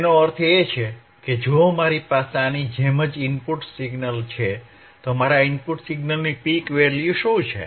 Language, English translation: Gujarati, tThat means, if I have input signal right like this, what is my in peak of the input